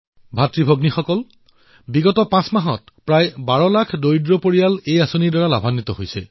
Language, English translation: Assamese, Brothers and Sisters, about 12 lakhimpoverished families have benefitted from this scheme over a period of last five months